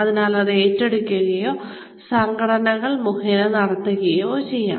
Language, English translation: Malayalam, So, that can be taken over or that is done through the organizations